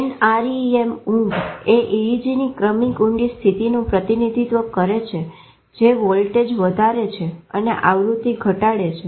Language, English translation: Gujarati, An ARIAM sleep stage represents successively deeper state with EEG showing increasing voltage decreasing frequency